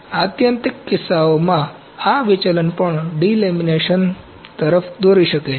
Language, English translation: Gujarati, In extreme cases, this deflection can even lead to delamination